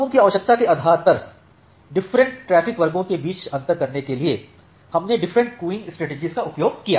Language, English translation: Hindi, So, now, to differentiate among this different traffic classes based on their requirement we used different queuing strategies